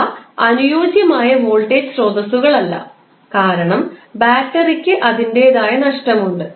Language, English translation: Malayalam, Although, those are not ideal voltage sources because battery has its own losses